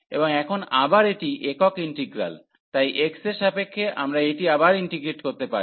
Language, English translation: Bengali, And now again this is a single integral, so with respect to x, so we can integrate again this